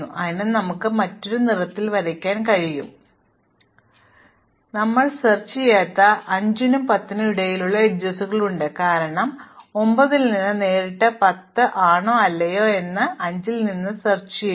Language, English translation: Malayalam, So, we can draw them in a different color, so we have the edge between 5 and 10 which we did not explore, because we explored 10 directly from 9 and so on